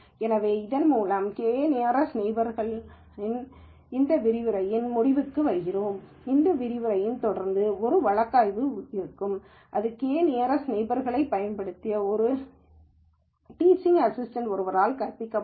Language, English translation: Tamil, So, with this we come to an end of this lecture on k nearest neighbors and following this lecture there will be a case study, which will use k nearest neighbor that will be taught by one of the teaching assistants